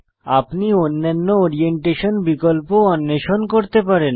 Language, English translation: Bengali, You can explore the other Orientation options on your own